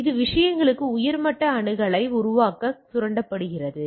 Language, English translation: Tamil, So, that is exploited to generate a higher level access right to the things